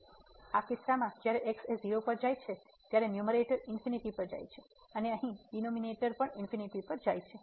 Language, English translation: Gujarati, So, in this case when goes to 0 the numerator goes to infinity and also here the denominator goes to infinity